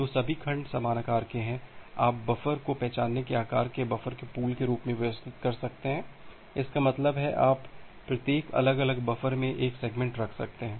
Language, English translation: Hindi, So, all the segments are of same size, you can organize the buffer as a pool of identically size buffer; that means, you can hold one segment at every individual buffer